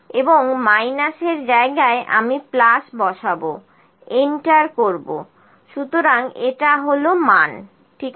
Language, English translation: Bengali, And in place of minus I will put plus enter, so this is the value, ok